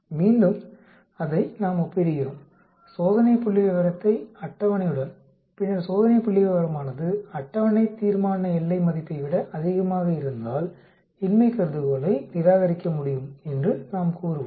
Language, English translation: Tamil, Again we compare it, the test statistics with the table and then if the test statistics is greater than the table critical value, we will say the null hypothesis can be rejected